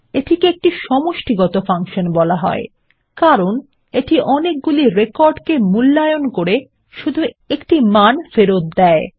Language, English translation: Bengali, This is called an aggregate function, as it returns just one value by evaluating a set of records